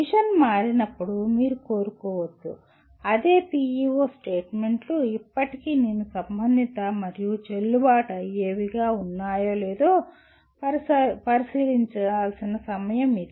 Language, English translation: Telugu, When the mission gets altered, you may want to, that is the time also to take a look at whether same PEO statements are still I consider relevant and valid